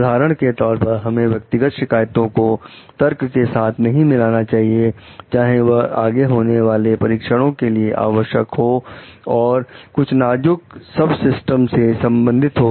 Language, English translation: Hindi, For example, we should not mix personal grievances into an argument about whether further testing is necessary and some critical subsystem